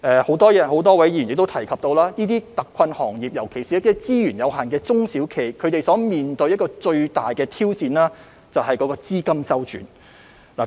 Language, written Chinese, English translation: Cantonese, 很多位議員提及，這些特困行業，特別是資源有限的中小企，他們面對最大的挑戰就是資金周轉。, According to many Members the greatest challenge faced by these hard - hit industries especially SMEs with limited resources is their cash flow